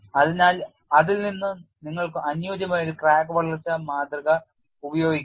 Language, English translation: Malayalam, So, from that you can use a suitable crack growth model